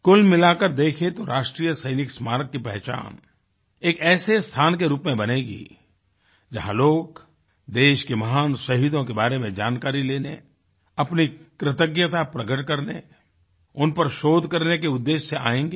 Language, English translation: Hindi, If you take a holistic view, the National Soldiers' Memorial is sure to turn out to be a sacred site, where people will throng, to get information on our great martyrs, to express their gratitude, to conduct further research on them